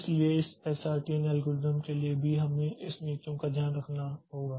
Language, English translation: Hindi, So even for this SRT and algorithm so we have to take care of these policies